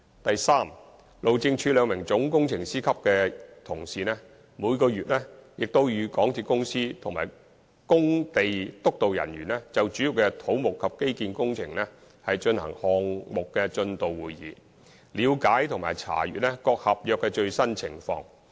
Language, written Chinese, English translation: Cantonese, 第三，路政署兩名總工程師級同事，每個月均與港鐵公司的工地督導人員，就主要的土木及機電工程舉行項目進度會議，了解和查閱各合約的最新情況。, Third two officials at Chief Engineer level will hold monthly Project Progress Meetings with MTRCLs site supervision staff on major civil electrical and mechanical engineering works in order to ascertain and audit the latest progress of the various contracts